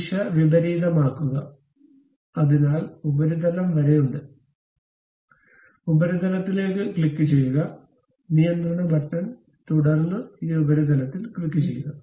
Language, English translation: Malayalam, Reverse the direction, so there is up to the surface; so click up to the surface, control button, then click this surface